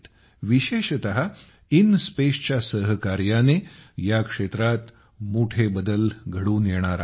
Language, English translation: Marathi, In particular, the collaboration of INSPACe is going to make a big difference in this area